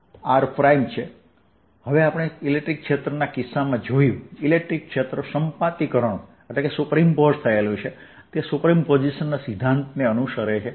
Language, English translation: Gujarati, as we saw in the case of electric field, electric field is superimposed, right it ah follows the principle of superposition